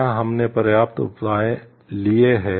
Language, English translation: Hindi, Have we taken enough measured